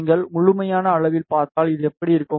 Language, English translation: Tamil, If you see in absolute scale, so this is how it will look like ok